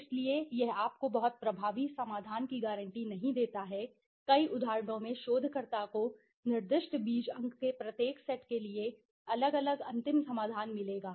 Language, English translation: Hindi, so it is does not guarantee you a very effective solution, in many instances the researcher will get the different final solution, for each set of specified seed points